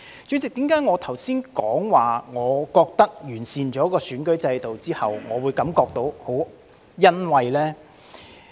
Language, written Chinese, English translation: Cantonese, 主席，為何我剛才說在完善選舉制度後，我會感到很欣慰呢？, President why did I say just now that I felt gratified about the improvement of the electoral system?